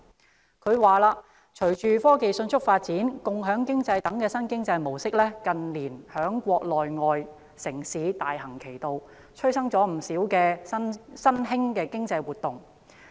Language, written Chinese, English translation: Cantonese, 施政報告指出："隨着科技迅速發展，共享經濟等新經濟模式近年在國內外城市大行其道，催生了不少新興經濟活動"。, The Policy Address pointed out With the rapid advancement in technology new economic models such as the sharing economy are becoming increasingly popular in the Mainland and overseas cities in recent years leading to the emergence of many new economic activities